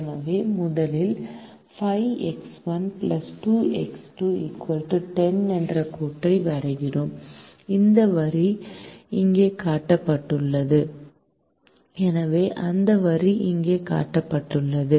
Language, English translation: Tamil, so we first draw the line five x one plus two x two equal to ten, and that line is shown here